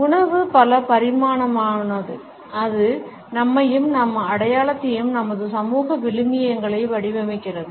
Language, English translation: Tamil, Food is multidimensional, it shapes us, it shapes our identity, it shapes our social values